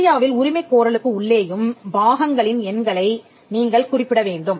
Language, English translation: Tamil, In India, you will have to mention the numbers of the parts within the claim also